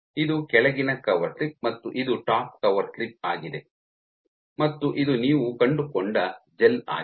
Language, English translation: Kannada, So, this is your bottom cover slip and this is your top core slip and this is the gel that you found